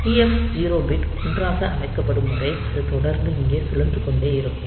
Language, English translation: Tamil, So, this will be continually looping here, till this TF 0 bit is set to 1